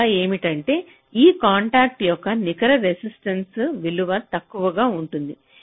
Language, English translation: Telugu, the result is that the net resistance value of this contact will be less